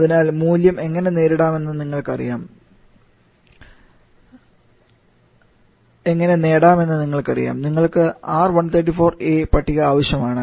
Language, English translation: Malayalam, So you know how to get the value you just need the R1 for the table